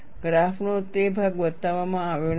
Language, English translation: Gujarati, That portion of the graph is not shown